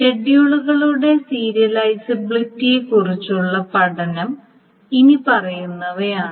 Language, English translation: Malayalam, So this is the study of serializability that we saw